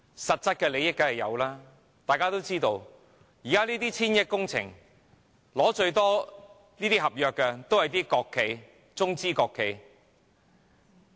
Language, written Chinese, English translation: Cantonese, 實質利益當然有，這些上千億元的工程項目，取得最多合約的均是國企、中資企業。, There are of course substantial benefits too . These projects costing some 100 billion are mostly contracted out to State enterprises and Chinese enterprises